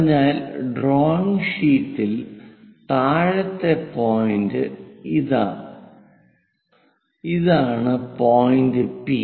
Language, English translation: Malayalam, So, on the drawing sheet at the bottom point, this is the point P